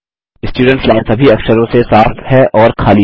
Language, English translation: Hindi, The Students Line is cleared of all characters and is blank